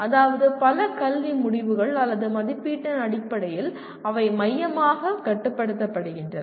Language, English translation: Tamil, That means there are many academic decisions or in terms of assessment they are centrally controlled